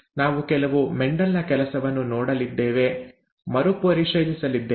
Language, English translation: Kannada, We are going to review, we are going to see some of Mendel’s work